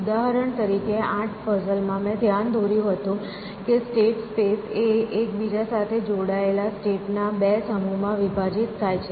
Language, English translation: Gujarati, For example, in the eight puzzles I had pointed out that the state space is actually partition into two sets of states which are connected to each other